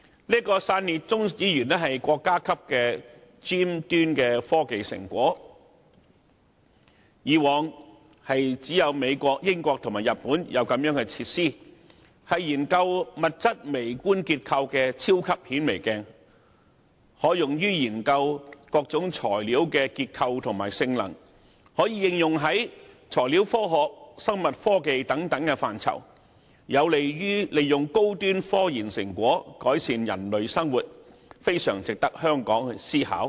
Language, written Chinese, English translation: Cantonese, 這個基地被視為國家級尖端科技成果，以往只有美國、英國和日本等國家才有類似設施，用以研究物質微觀結構，更被譽為"超級顯微鏡"，可用以研究各種材料的結構和性能，在材料科學、生物科技等範疇予以應用，有利於利用高端科研成果改善人類生活，十分值得香港思考。, In the past similar facilities can be found only in such countries as the United States the United Kingdom and Japan where they were used to study the micro structure of substances and hailed as super microscopes for they could also be used to study the structure and properties of various materials and applied in various spheres such as materials science biotechnology and so on . All this can help the application of high - end scientific research results to improve the living of humankind . It is therefore worthwhile for Hong Kong to do some thinking